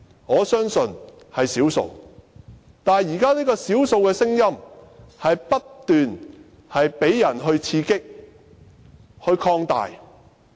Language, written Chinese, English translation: Cantonese, 我相信只是少數，但現時這些少數的聲音卻不斷被刺激並擴大。, I think it only takes up a small minority but the voices of this small minority has been energized and amplified again and again